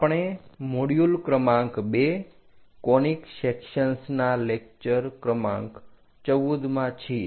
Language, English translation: Gujarati, We are in module number 2, lecture number 14 on Conic Sections